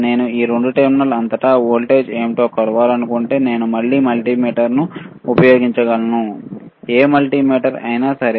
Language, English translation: Telugu, If I want to measure what is the voltage across these two terminal, I can again use a multimeter, all right any multimeter